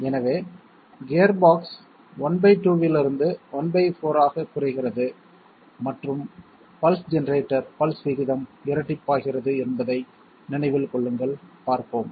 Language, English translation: Tamil, So just keep in mind two things gearbox reduces from half to one fourth and pulse generator pulse rate is doubled, let us see